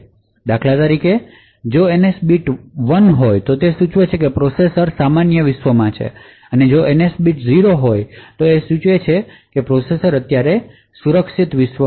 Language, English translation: Gujarati, So, for instance if the NS bit is equal to 1 it indicates that the processor is in the normal world, if the NS bit is set to 0 that would indicate a secure world operation